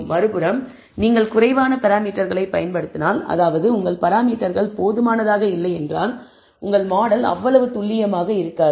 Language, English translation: Tamil, On the other hand, if you use less parameters, you actually or not sufficiently your model is not going to be that accurate